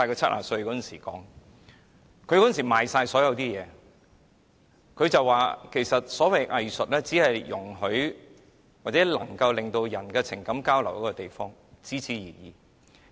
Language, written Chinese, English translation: Cantonese, 他當時已變賣所有資產，並表示所謂藝術，只是讓人進行情感交流的東西，僅此而已。, Having sold all his assets then he commented that arts were nothing but the means for exchanges of affection between different people and that was all